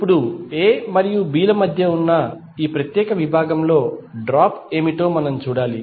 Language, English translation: Telugu, Now, we have to see what isthe drop in this particular segment that is between A and B